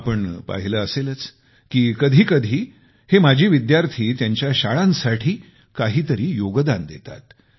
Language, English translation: Marathi, You must have seen alumni groups at times, contributing something or the other to their schools